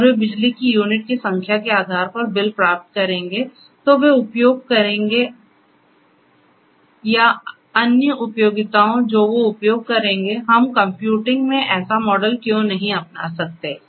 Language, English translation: Hindi, And they will get billed based on the number of units of electricity that they are going to use or other utilities that they are going to use, why cannot we adopt the same model in computing